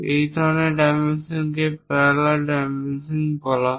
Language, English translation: Bengali, Such kind of dimensioning is called parallel dimensioning